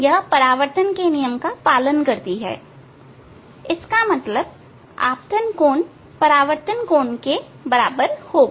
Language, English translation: Hindi, It follows the laws of reflection; that means, angle of incidence will be equal to the angle of reflection